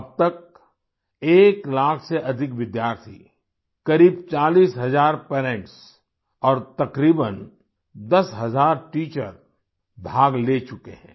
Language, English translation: Hindi, So far, more than one lakh students, about 40 thousand parents, and about 10 thousand teachers have participated